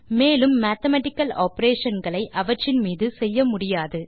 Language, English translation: Tamil, We can perform mathematical operations on them now